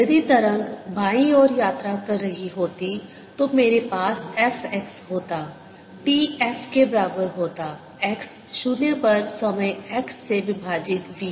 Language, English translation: Hindi, if the wave was traveling to the left, i would have had f x t equals f at x is equal to zero at time x over v